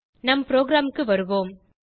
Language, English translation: Tamil, Let us move back to our program